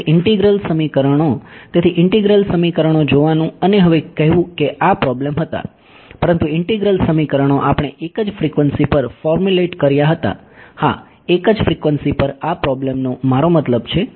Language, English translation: Gujarati, So, integral equations so, its slight its tempting to look at integral equations and say now this problems were there, but integral equations we formulated at a single frequency yeah at a single frequency this problem I mean now